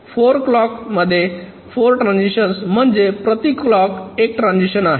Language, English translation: Marathi, so four transitions in four clocks, which means one transitions per clock